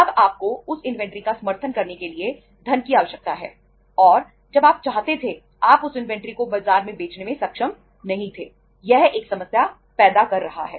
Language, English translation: Hindi, Now you need the funds to support that inventory and you are not able to sell that inventory in the market as and when you wanted, it is creating a problem